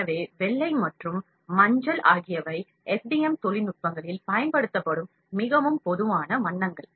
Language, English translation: Tamil, So, white is the most common color,that is used in FDM technologies nowadays